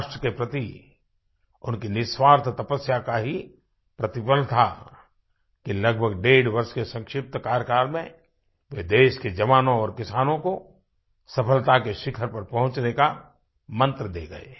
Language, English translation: Hindi, It was the result of his selfless service to the nation that in a brief tenure of about one and a half years he gave to our jawans and farmers the mantra to reach the pinnacle of success